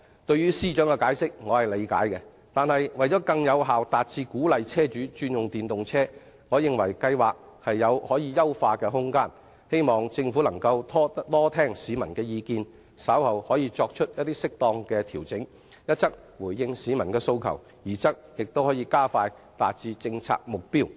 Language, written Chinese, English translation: Cantonese, 對於司長的解釋我可以理解，但為更有效達致鼓勵車主轉用電動車，我認為計劃有可優化的空間，希望政府能多聽市民的意見，稍後作出適當的調整，一則回應市民的訴求，二則可加快達致政策目標。, I understand what the Financial Secretary means . But I think if we are to achieve greater effect in encouraging car owners to switch to EVs the scheme should be further improved . I hope the Government can heed more public views and then make appropriate adjustment so as to answer peoples demands and attain the policy objective more quickly